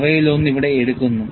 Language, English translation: Malayalam, And one of them is picked up here